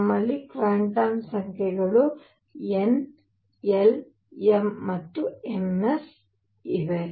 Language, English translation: Kannada, We have quantum numbers n, l, m and m s